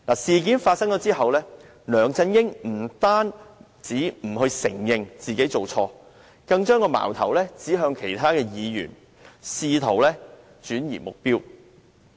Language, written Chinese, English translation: Cantonese, 事件發生之後，梁振英不單不承認犯錯，更把矛頭指向其他議員，試圖轉移目標。, After the incident LEUNG Chun - ying not only denied any wrongdoing but he also shifted the blame to other Members in a bid to divert attention